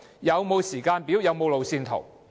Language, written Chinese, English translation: Cantonese, 有否時間表和路線圖？, Is there any timetable and roadmap?